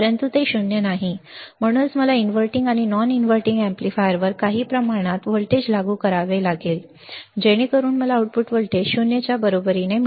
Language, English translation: Marathi, But it is not 0, that is why I have to apply some amount of voltage, at the inverting and non inverting amplifier so that I can get the output voltage equal to 0